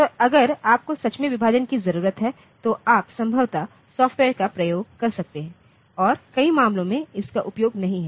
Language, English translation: Hindi, So, if you really need division then you can possibly do it using software and many cases we may not need it